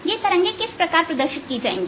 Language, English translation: Hindi, how would this wave be represented